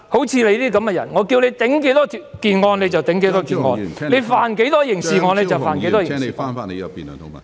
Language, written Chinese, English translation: Cantonese, 像你這樣的人，叫你頂案你就頂案，說你犯過多少刑案你就犯了多少刑案"......, If I tell you to take the blame of a crime you must do so; if I say you have committed a certain number of crimes there will be no dispute